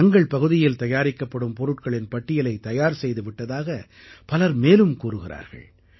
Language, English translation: Tamil, Many people have mentioned the fact that they have made complete lists of the products being manufactured in their vicinity